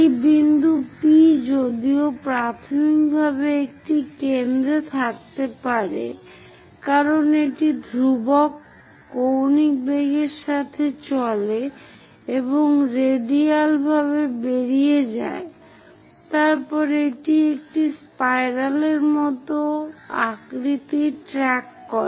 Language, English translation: Bengali, This point P though initially, it might be at center as it moves with the constant angular velocity and moving out radially then it tracks a shape like a spiral